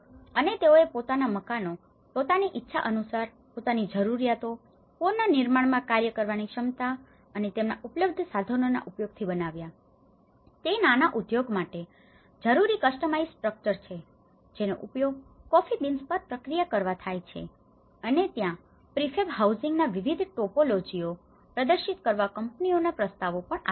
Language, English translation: Gujarati, And build the type of house they wanted according to their needs, capacity to work in reconstruction and availability of their own resources whereas, this is again a customized structure for processing coffee beans which is necessity for a small scale industry and there has also been proposals they brought about the invitation for their companies to come and showcase different topologies of the prefab housing